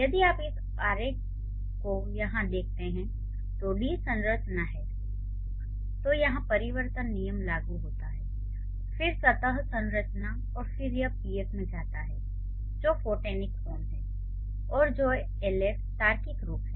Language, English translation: Hindi, When you, if you look at this diagram over here, there is D, then there is like the D structure, then the transformation rule applies, then the surface structure, then it goes to the PF which is the phonetic form and LF which is the logical form